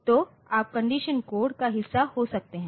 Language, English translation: Hindi, So, you can have the condition codes part of it